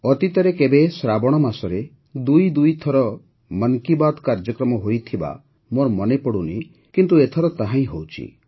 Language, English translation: Odia, I don't recall if it has ever happened that in the month of Sawan, 'Mann Ki Baat' program was held twice, but, this time, the same is happening